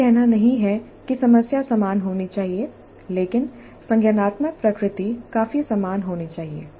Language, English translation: Hindi, This is not to say that the problem should be identical but the cognitive nature should be quite similar